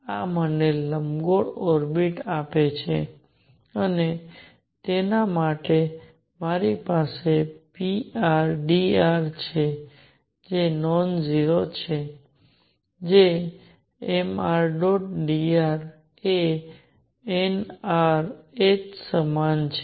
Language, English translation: Gujarati, So, this gives me the elliptical orbits and for that I have p r d r which is non 0 which is m r dot d r equals n r h